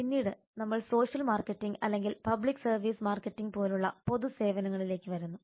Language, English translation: Malayalam, then we come to public services like social marketing or public services marketing